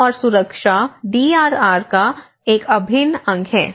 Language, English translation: Hindi, So, that is how health and safety is an integral part of the DRR